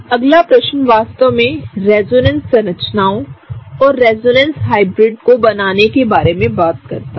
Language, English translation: Hindi, The next question really talks about drawing resonance structures and resonance hybrids